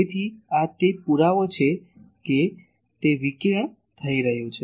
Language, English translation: Gujarati, So, this is the proof that it is getting radiated